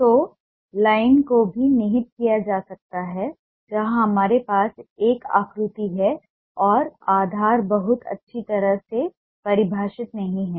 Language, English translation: Hindi, so line can also be implied where we have a shape and the base is not very well defined